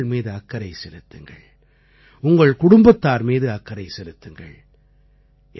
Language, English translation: Tamil, I urge you to take care of yourself…take care of your loved ones…take care of your family